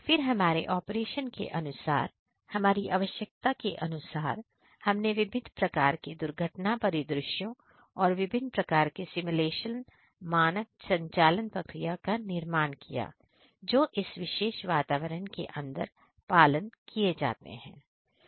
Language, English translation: Hindi, Then according to our operation; according to our requirement we created different kinds of accident scenarios and different kind of simulation standard operating procedures those are followed inside this particular environment